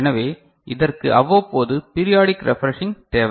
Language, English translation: Tamil, So, it requires periodic refreshing ok